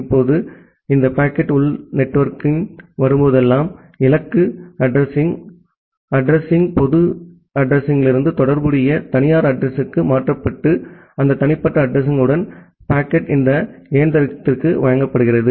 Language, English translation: Tamil, Now whenever this packet is coming to the inside network, the address the destination address is replaced from the public address to the corresponding private address and with that private address the packet is delivered to this machine